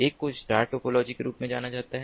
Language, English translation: Hindi, one is known as the star topology